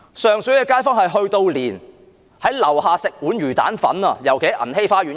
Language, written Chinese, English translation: Cantonese, 上水的街坊，連到樓下吃魚蛋粉也不可以。, Residents of Sheung Shui cannot even go downstairs to have a bowl of fish ball noodles